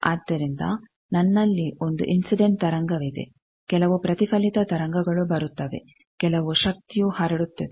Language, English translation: Kannada, So, I have an incident wave some reflected thing comes, some power gets transmitted